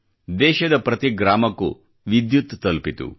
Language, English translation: Kannada, Electricity reached each & every village of the country this year